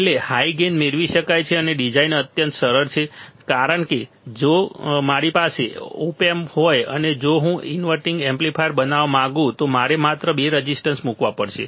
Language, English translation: Gujarati, Finally, higher gain can be obtained and design is extremely simple, design is extremely simple why because if I have op amp if I may want to make inverting amplifier I have to just put two resistors and that is it